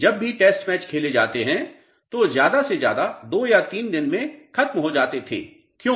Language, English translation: Hindi, Whenever test matches are played they use to be over in 2 days or 3 days at the most, why